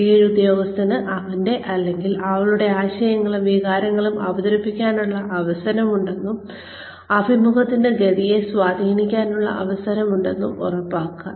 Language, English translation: Malayalam, Ensure, that the subordinate has the opportunity, to present his or her ideas and feelings, and has a chance to influence the course of the interview